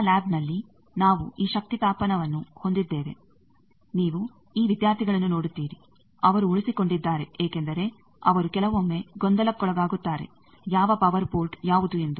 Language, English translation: Kannada, In our lab we have this power heating, you see these students they have retained because if they get sometimes confused, which power port is which one